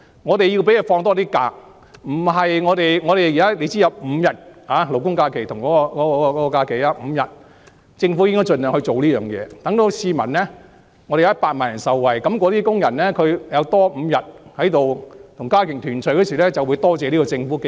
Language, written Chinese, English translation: Cantonese, 我們要讓他們有多些假期，現在勞工假期和公眾假期相差5天，政府在這方面應該盡量作出改善，讓100萬人受惠，工人如多了5天家庭團聚時間，便會多謝政府。, We should give them more holidays . At present there is a discrepancy of five days between labour holidays and general holidays and in this regard the Government should make improvement by all means for the benefit of 1 million workers . They will thank the Government if they can have five more days to spend with their families